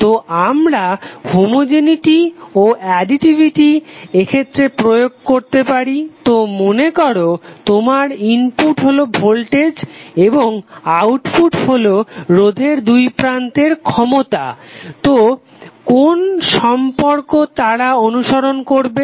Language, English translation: Bengali, So can we apply the homogeneity and additivity in that case, so if suppose your input is voltage and output is power across a resistor, so what relationship they will follow